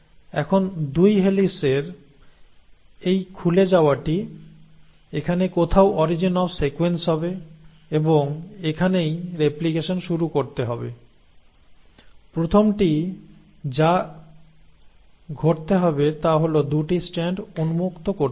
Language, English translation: Bengali, Now this opening of the 2 helices, somewhere here will be the origin of replication and this is where the replication has to start, the first thing that has to happen is the 2 strands have to unwind